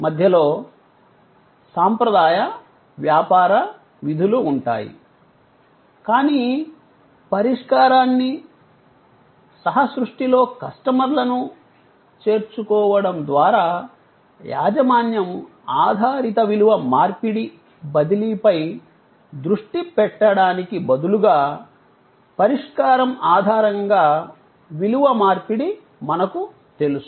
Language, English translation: Telugu, There will be the traditional business functions in the middle, but by involving customer in co creating the solution, instead of focusing on transfer of ownership based value exchange, we now the value exchange based on solution